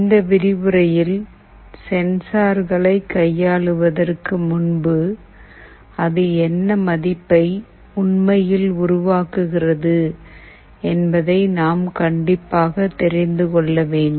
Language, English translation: Tamil, In this lecture prior going towards working with sensors, we must know that what my sensor value is actually generating